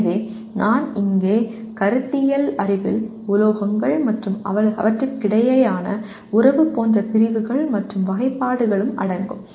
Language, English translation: Tamil, So here conceptual knowledge will include categories and classifications like we said metals and the relationship between and among them